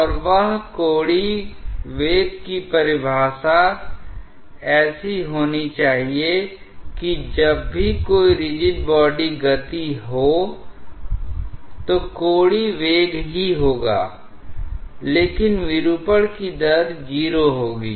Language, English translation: Hindi, And that angular velocity definition should be such that whenever there is a rigid body motion, the angular velocity will only be there, but the rate of deformation will be 0